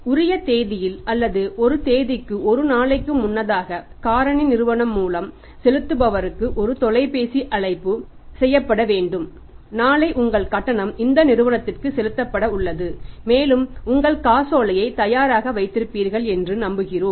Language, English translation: Tamil, On the due date or maybe one day before the due date a phone call has to be made by the factor to the payer that tomorrow your payment is due for this much to this company and we hope that your check will be ready and you will be sending the check to us or maybe making the online transfers right